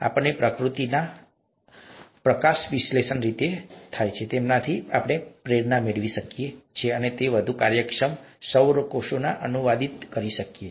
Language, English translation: Gujarati, So can we get inspiration from the way photosynthesis is done in nature, and translate it to more efficient solar cells